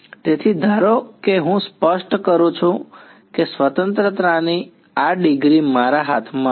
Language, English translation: Gujarati, So, supposing I specify this degree of freedom was there in my hand right